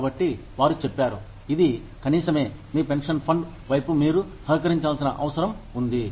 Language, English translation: Telugu, So, they said, this is the minimum, that you will be required, to contribute towards, your pension fund